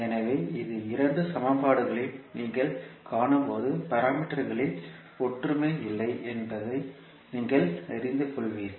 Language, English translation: Tamil, So, when you see these two equations you will come to know that there is no uniformity in the parameters